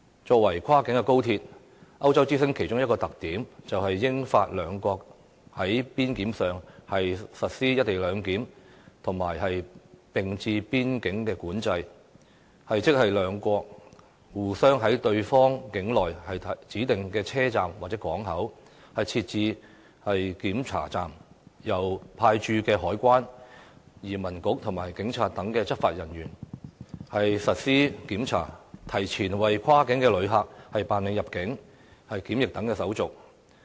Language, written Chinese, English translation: Cantonese, 作為跨境高鐵，歐洲之星其中一個特點，就是英法兩國在邊檢上實施"一地兩檢"的"並置邊境管制"，即兩國互相在對方境內指定的車站或港口，設置檢查站，由派駐該國的海關、移民局和警察等執法人員進行檢查，提前為跨境旅客辦理入境和檢疫等手續。, a co - location arrangement in both the United Kingdom and France . Each country will set up checkpoints at selected train stations or ferry ports in the territory of the other country to be manned by its own customs immigration and police officers . Cross - boundary passengers will go through immigration and quarantine clearance in advance